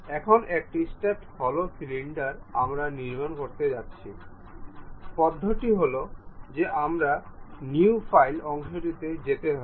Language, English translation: Bengali, Now, a stepped hollow cylinder if we are going to construct, the procedure is go to new file part ok